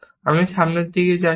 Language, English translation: Bengali, I am moving forward from here